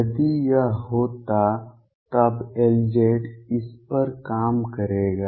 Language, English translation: Hindi, If it was there then L z would operate on it